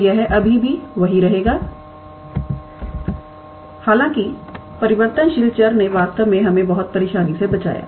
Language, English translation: Hindi, So, it would still remain the same; however, doing that change of variable actually saved us from lot of trouble actually